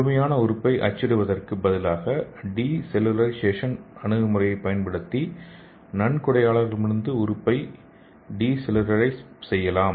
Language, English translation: Tamil, So instead of printing the complete organ we can use this approach and we can de cellularize the organ from the donor